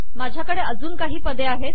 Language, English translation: Marathi, I have a few more terms here